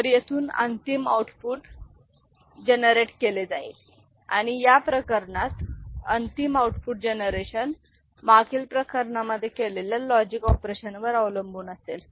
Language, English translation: Marathi, So, final output will be generated from here, right and in this case the final output generation will depend on the logic operation done in previous cases